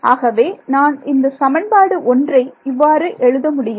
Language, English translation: Tamil, So, let us deal with the equations 1 by 1